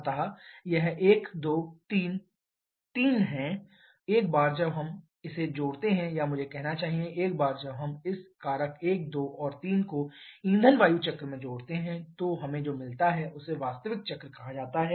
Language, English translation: Hindi, So, this 1, 2, 3 are the 3 once we add this or I should say once we add this factor 1, 2 and 3 to the fuel air cycle what we get that is referred to as the actual cycle